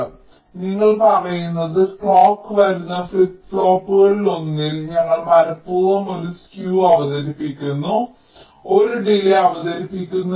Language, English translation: Malayalam, so what you are saying is that in one of the flip flop where the clock is coming, we are deliberately introducing a skew, introducing a delay